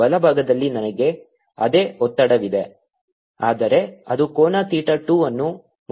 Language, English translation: Kannada, i have same tension but it making angle theta two